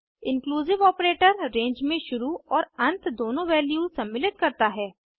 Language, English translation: Hindi, Inclusive operator includes both begin and end values in a range